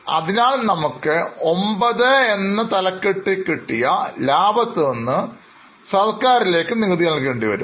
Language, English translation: Malayalam, So, on the profits which you have earned in 9, you will have to pay some money to government, that is the taxes